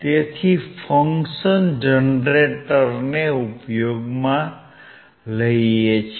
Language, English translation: Gujarati, So, let us see the function generator